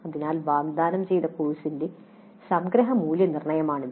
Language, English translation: Malayalam, So this is the summative evaluation of the course offered